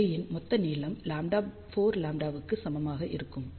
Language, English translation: Tamil, So, total length of the array will be equal to 4 lambda